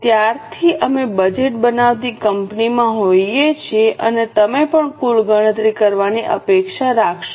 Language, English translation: Gujarati, Since we are in the budgeting, company would expect you to calculate total as well